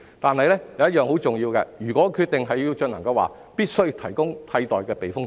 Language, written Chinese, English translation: Cantonese, 但是，有一點很重要，即如果決定要進行，必須提供替代的避風塘。, Nevertheless it is vitally important that a replacement typhoon shelter must be provided if it is decided that we shall proceed with the reclamation works